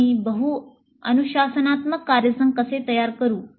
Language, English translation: Marathi, And how do we form multidisciplinary teams